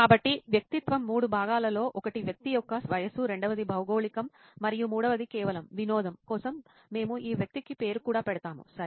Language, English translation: Telugu, So the persona is in three parts one is the age of the person, second is the geography and third just for fun we will even name this person, ok